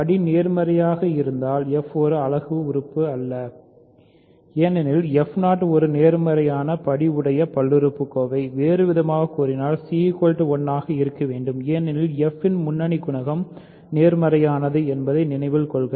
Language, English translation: Tamil, But if degree is positive, f 0 is not a unit because f 0 is a positive degree polynomial, you know in other words c must be 1 because remember leading coefficient of f is positive